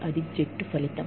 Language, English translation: Telugu, That is the team outcome